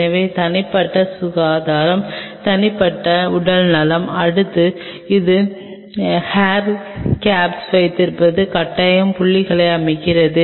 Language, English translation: Tamil, So, personal hygiene personal health, next it is absolutely making it a mandatory point to have the hair caps